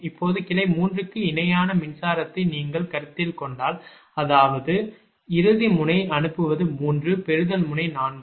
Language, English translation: Tamil, now, if you consider electrical equivalent of branch three, that means sending end node is three, receiving end node is four